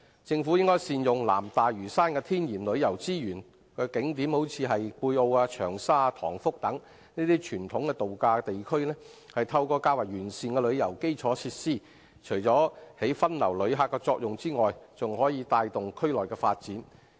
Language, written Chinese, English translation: Cantonese, 政府應善用南大嶼山的天然旅遊資源及景點，如貝澳、長沙及塘福等傳統度假地區，透過較完善的旅遊基礎設施，除發揮分流旅客的作用外，還可帶動區內的發展。, The Government should make good use of the natural tourism resources and scenic spots in South Lantau such as the traditional resort areas of Pui O Cheung Sha and Tong Fuk . Better tourism infrastructures should be developed in these places to divert visitors and drive local development